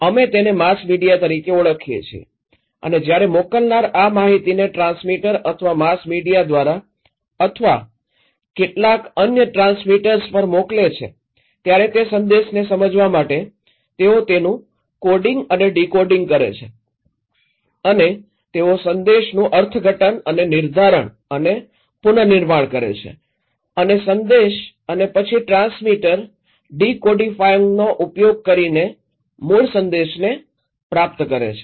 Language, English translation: Gujarati, We call them as mass media and when the sender send these informations to the transmitter or mass media or some other transmitters, they do coding and decoding in order to understand that message and they interpret and deconstruct and reconstruct that message and transmitter then after the decodifying the message from the original source